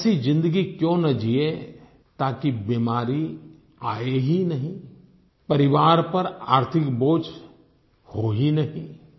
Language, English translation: Hindi, Why can't we lead life in such a way that we don't ever fall sick and no financial burden falls upon the family